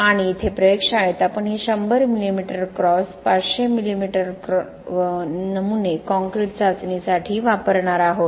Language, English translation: Marathi, And here in our lab we are going to use this 100 mm cross, 100 mm cross, 500 mm specimen for the concrete test